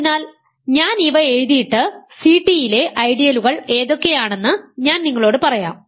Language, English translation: Malayalam, So, I will write down these and then I will tell you how to what are the corresponding ideals in C t